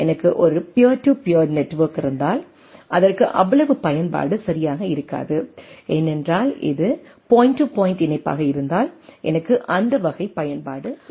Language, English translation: Tamil, If I have a peer to peer network, it may not have that much utility right because, if it is a point to point connectivity, then I do not have that type of utility